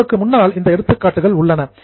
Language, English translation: Tamil, Now, examples are also in front of you